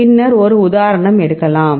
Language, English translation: Tamil, Then the will take one more example